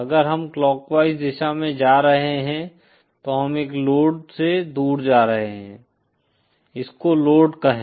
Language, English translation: Hindi, If we are going in a clockwise direction then we are moving away from a load, say this load